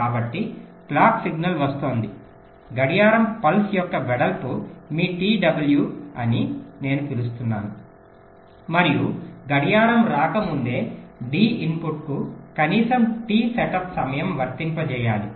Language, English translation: Telugu, i just said the width of the clock pulse, that is your t w, and before the clock comes the d input must be applied